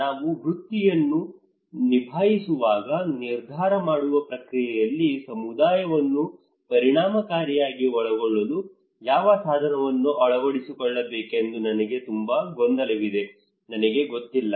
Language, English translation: Kannada, When I am a practitioner, I am very confused which tool to take which tool to adopt in order to effectively involve community into the decision making process, I do not know